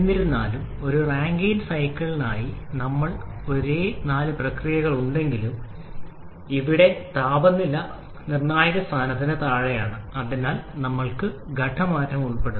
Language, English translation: Malayalam, However, for a Rankine cycle though we have the same four processes but here the temperature level is below the critical point and therefore we have the phase change involved